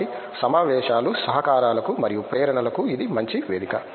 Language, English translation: Telugu, So, conferences are really good ground for collaborations and for inspirations